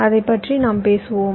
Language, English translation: Tamil, this we shall see later